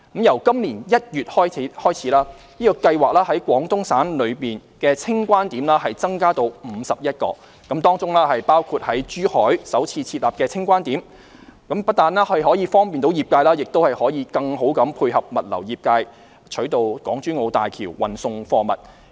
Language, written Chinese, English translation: Cantonese, 由今年1月起，該計劃在廣東省內的清關點增加至51個，當中包括在珠海首次設立的清關點，不但可以方便業界，也可以更好配合物流業界取道港珠澳大橋運送貨物。, Since January this year the clearance points in Guangdong Province under the Scheme have increased to 51 including the first clearance point in Zhuhai . This will not only facilitate the industry but also better coordinate with the logistics industry to transport goods using the Hong Kong - Zhuhai - Macao Bridge